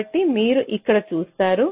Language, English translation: Telugu, so you see here